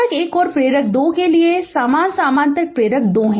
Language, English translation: Hindi, Same for inductor1 and inductor 2 the parallel inductors 2 are there right